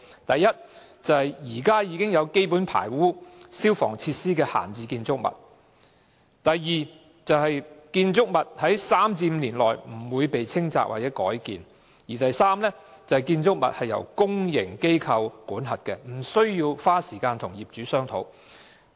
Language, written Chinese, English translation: Cantonese, 第一，現時已有基本排污及消防設施的閒置建築物；第二，不會在3年至5年內被清拆或改建的建築物；及第三，由公營機構管轄，因而無須花時間與業主商討的建築物。, Firstly making use of idle buildings where basic sewage and fire service facilities have been installed; secondly making use of buildings that will not be demolished or altered within the next three to five years and thirdly making use of buildings managed by public organizations so as to obviate the need to negotiate with property owners